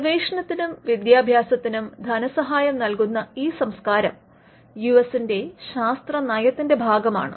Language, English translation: Malayalam, US has this culture of funding basic research and education, lastly because of the science policy of the country